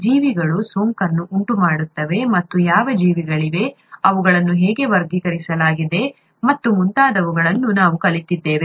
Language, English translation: Kannada, We learnt that organisms cause infection and what organisms there are, how they are classified and so on